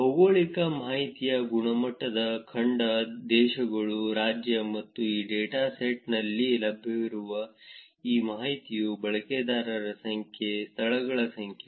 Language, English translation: Kannada, Also the quality of geographic information is continent, countries, state and this information that is available in this dataset is number of users, number of venues